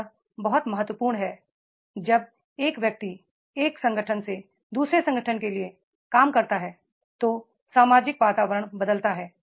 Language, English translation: Hindi, It is very important when a person works from the one organization to the another organization, the social environment keeps on changing